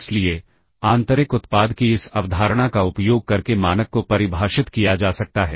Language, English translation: Hindi, So, the norm can be defined using this concept of inner product